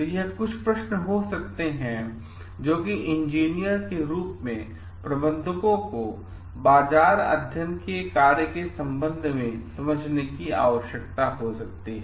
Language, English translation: Hindi, So, these could be questions that engineers as managers may need to tackle with respect to the function of market study